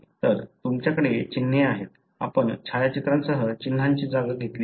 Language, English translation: Marathi, So, you have symbols; we have replaced the symbols with the photographs